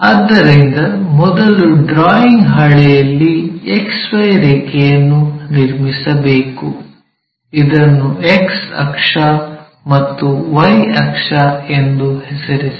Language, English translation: Kannada, So, on the drawing sheet first we have to draw a horizontal line XY; name this x axis, y axis